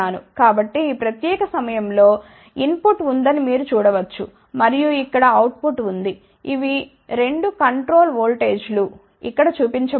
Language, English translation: Telugu, So, you can see at this particular point there is a input and there is a output here, these are the 2 control voltages which I shown over here ok